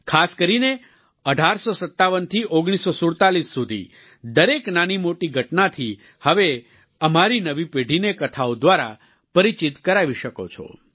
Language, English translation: Gujarati, Especially, from 1857 to 1947, we can introduce every major or minor incident of this period to our new generation through stories